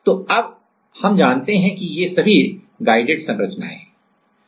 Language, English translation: Hindi, So, now, we know that these are all guided structures